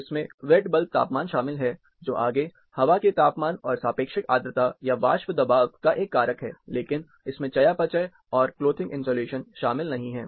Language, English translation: Hindi, It includes wet bulb temperature, which is further a factor of air temperature and relative humidity, or vapor pressure, but it does not include metabolic and clothing insulation